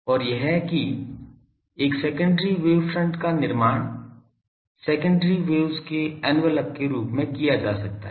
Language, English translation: Hindi, And that a secondary wave front can be constructed as the envelope of the secondary waves